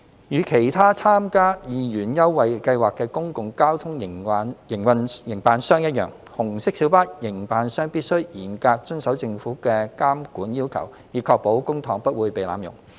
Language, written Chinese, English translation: Cantonese, 與其他參加二元優惠計劃的公共交通營辦商一樣，紅色小巴營辦商必須嚴格遵守政府的監管要求，以確保公帑不會被濫用。, Like other public transport operators participating in the 2 Scheme RMB operators must strictly comply with the Governments monitoring conditions to ensure that public money will not be abused